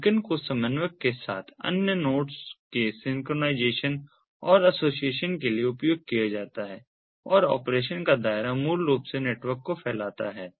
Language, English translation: Hindi, the beacons are used for synchronization and association of other nodes with the coordinator and the scope of operation basically spans the whole network in the context of beaconed, beacon enabled networks